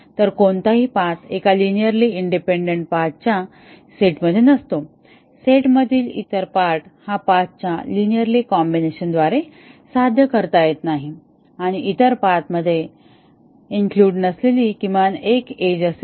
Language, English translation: Marathi, So, any path would not be in a linearly independent set of path would not be obtainable by a linear combination of other part paths in the set and there would be at least one edge that is not included in other paths